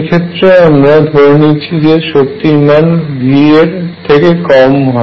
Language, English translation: Bengali, We are going to assume that the energy lies below V